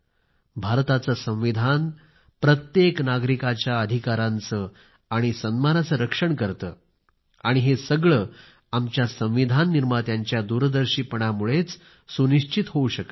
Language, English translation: Marathi, Our constitution guards the rights and dignity of every citizen which has been ensured owing to the farsightedness of the architects of our constitution